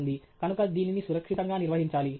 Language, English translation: Telugu, So it has to be handled safely